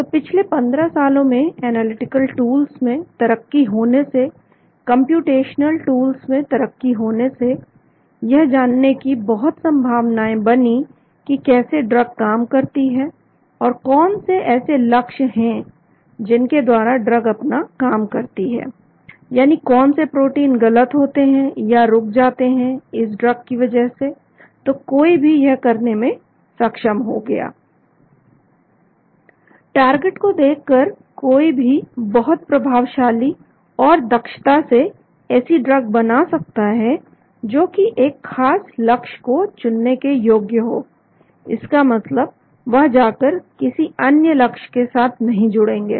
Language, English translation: Hindi, So in the past 15 years with the improvement in analytical tools, with improvement in computational tools so there was lot of possibilities of finding out how the drug acts, and what are the targets involved through which the drug acts, that means which proteins get disturbed or get inhibited because of this drug, so one was able to do that